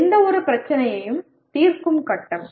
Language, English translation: Tamil, Phasing of solving any problem